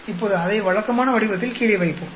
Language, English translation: Tamil, Now, let us put it down in the usual form